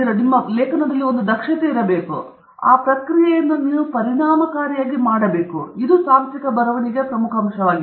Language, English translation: Kannada, So, the key here is efficiency; how efficiently are you going to do this process and that is the most important aspect of technical writing